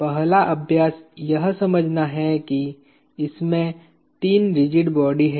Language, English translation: Hindi, The first exercise is to understand that there are 3 rigid bodies in this